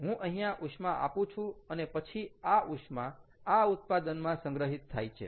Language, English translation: Gujarati, i am supplying heat, and then this heat is kind of stored in these products